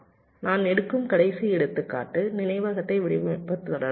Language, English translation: Tamil, ok, the last example that i take here is with respect to designing memory